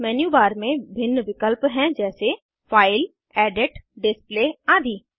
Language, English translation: Hindi, In the menu bar, there are various options like File, Edit, Display, etc